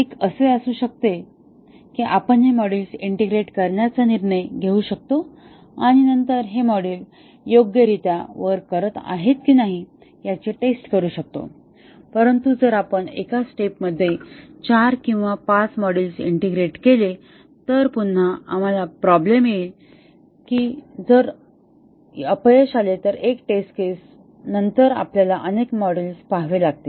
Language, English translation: Marathi, One may be that we can decide to integrate together these modules and then, test whether these modules are working correctly, but if we integrate 4 or 5 modules in one step, then again we will have a problem is that if there is a failure of a test case, then we will have to look at many modules